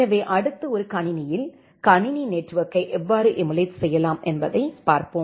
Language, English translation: Tamil, So, next we will look into that how you can emulate a computer network in a single machine